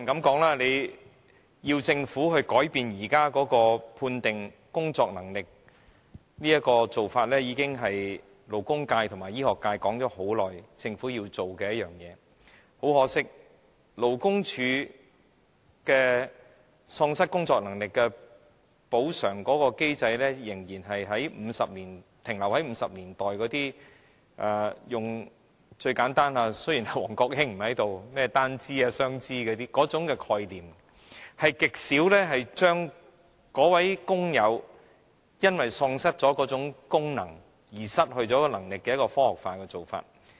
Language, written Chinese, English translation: Cantonese, 當然，要求政府改變現時判定喪失工作能力的做法，勞工界和醫學界已很長時間提出有關訴求，很可惜，勞工處的永久喪失工作能力的補償機制仍然停留在1950年代，用最簡單的——王國興不在這裏——"單肢"或"雙肢"的概念，極少對於該位因為身體喪失功能而失去工作能力的工友採取科學化方法來評估。, Of course the labour and medical sectors have been urging the Government to change its current practice in the determination of permanent incapacity . Regrettably the Labour Departments compensation mechanism for permanent incapacity is stuck at the 1950s still using the most simplistic concept of though Mr WONG Kwok - hing is not here one limb or two limbs . Seldom have the authorities used any scientific methods to assess the incapacity of workers arising from the loss of bodily functions